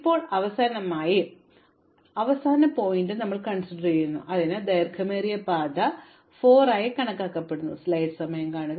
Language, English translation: Malayalam, And now finally, this is my last vertex, so I just enumerate it and I compute its longest path as 4